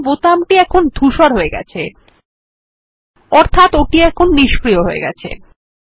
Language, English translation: Bengali, Notice that the button is greyed out, meaning now it is disabled from use